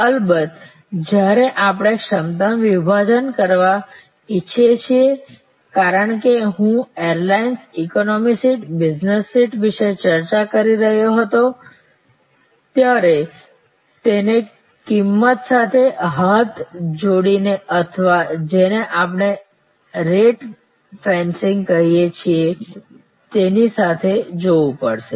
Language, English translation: Gujarati, Of course, when we want to do splitting of capacity as I was discussing about the airlines, economy sheet, business sheet it has to go hand and hand with price or what we call rate fencing